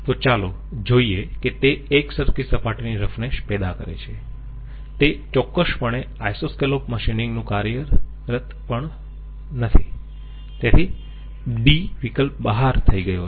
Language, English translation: Gujarati, So let us see, it produces uniform surface roughness certainly not that is the business of Isoscallop machining, so D is out